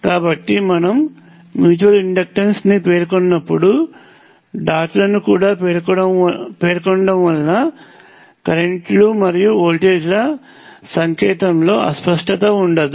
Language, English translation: Telugu, So, when you specify mutual inductance you also specify the dots, so that there is no ambiguity in the sign of currents and voltages